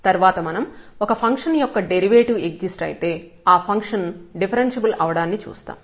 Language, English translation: Telugu, The next we will see that if the derivative exists that will imply that the function is differentiable